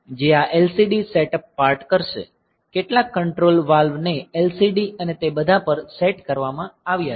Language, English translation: Gujarati, So, which will be doing this LCD setup part, some control valves have be set to LCD and all that